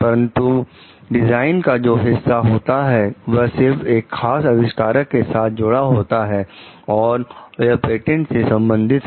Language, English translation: Hindi, But for the design part like it is only with the; for the particular inventor, it is with the patent